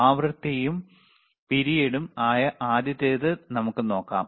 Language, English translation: Malayalam, Let us see the first one which is the frequency and period